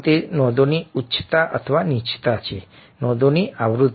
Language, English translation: Gujarati, it is the highness or the lowness of a note, the frequency of notes